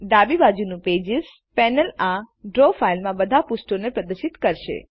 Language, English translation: Gujarati, The Pages panel on the left displays all the pages in the Draw file